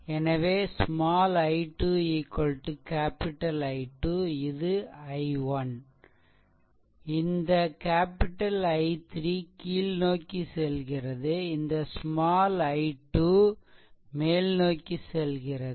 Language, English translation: Tamil, So, small i 1 is equal to capital I 1 this I 1, you have to find out, then small i 2, this is also going like this, right